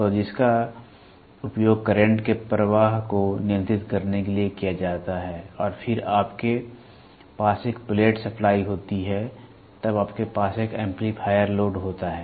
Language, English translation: Hindi, So, which is used to control the flow of current and then you have a plate supply then you have an amplifier load